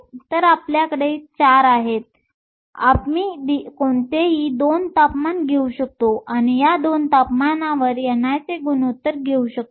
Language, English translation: Marathi, So, we have 4, we can take any 2 temperatures, and take the ratio of n i at these 2 temperatures